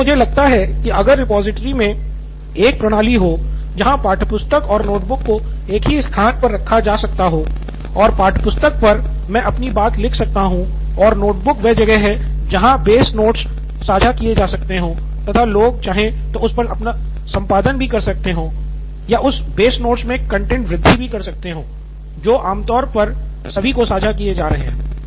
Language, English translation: Hindi, So I think if a repository has a system where textbook and notebook can be put in at the same place, and on the textbook I write my thing and notebook is where the base note is shared and people keep editing or keep adding value to that base note which is shared commonly to everyone, is the situation where the sharing is happening